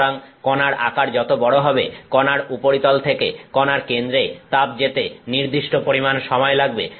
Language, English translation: Bengali, So, the larger the particle, heat takes certain amount of time to go from the surface of the particle to the center of the particle